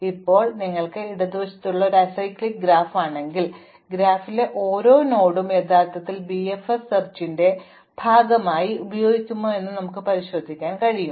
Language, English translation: Malayalam, Now, if you are a acyclic graph such as one on the left, you can check that every edge that is in the graph will actually be used as part of the BFS search